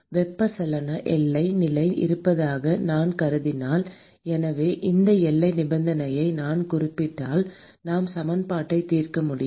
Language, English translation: Tamil, if I assume that there is a convection boundary condition so, if I specify this boundary condition, then we can solve the equation